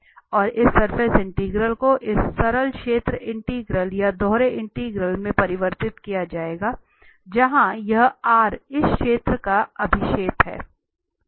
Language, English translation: Hindi, And this surface integral will be converted to this simple area integral or the double integral, where this R is the projection of this surface